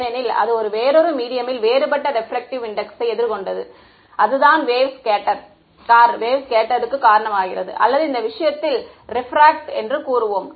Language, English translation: Tamil, Because it encountered a different medium different refractive index right that is what causes the wave to scatter or in this case we will say refract right